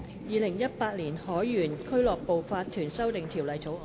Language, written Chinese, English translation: Cantonese, 《2018年海員俱樂部法團條例草案》。, Sailors Home and Missions to Seamen Incorporation Amendment Bill 2018